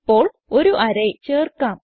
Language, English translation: Malayalam, Now let us add an array